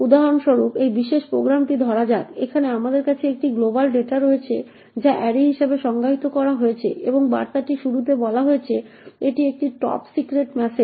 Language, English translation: Bengali, Let us take for example this particular program, we have a global data s over here which is defined as array and initialise to this message called this is a top secret message